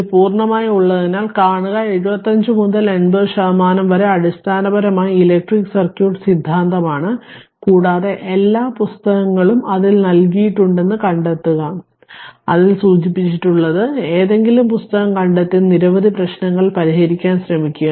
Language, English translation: Malayalam, And because this is purely your see your nearly 75 to 80 percent of this course is basically electric circuit theory and find out all the good books are given in that your I have mentioned in that your what you call, in that course itself and just find out any book and try to solve many problems